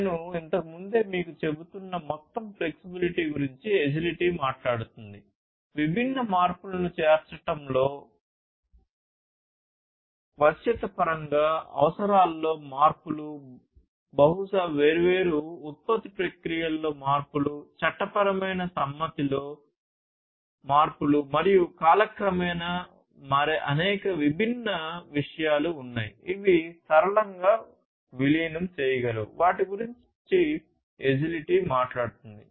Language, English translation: Telugu, Agility talks about overall flexibility which I was telling you earlier, flexibility in terms of incorporating different changes, changes in requirements, maybe, changes in the different production processes, changes in the legal compliance, and there are so, many different things that might change over time and in being able to incorporate it flexibly is what agility talks about